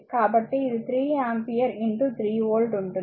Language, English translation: Telugu, So, it will be 3 ampere in to 3 volt